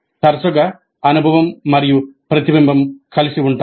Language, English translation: Telugu, Often experience and reflection coexist